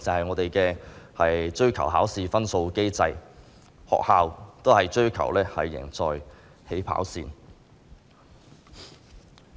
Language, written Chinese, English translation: Cantonese, 我們的機制是追求考試分數，學校也追求"贏在起跑線"。, Our mechanism is one that pursues exam scores and our schools likewise pursue winning at the starting line